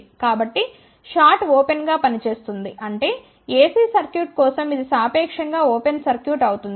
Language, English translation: Telugu, So, this short will act as open so; that means, for AC circuit this will be relatively open circuit